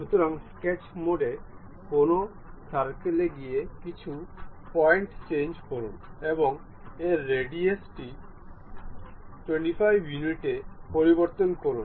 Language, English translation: Bengali, So, in the sketch mode go to a circle locate some point and change its radius to 25 units